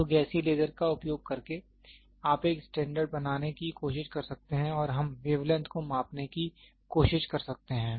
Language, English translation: Hindi, So, using a gaseous laser, you can try to make a standard and we can try to measure wavelength